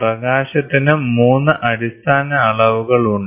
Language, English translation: Malayalam, So, in light, there are 3 basic dimensions of light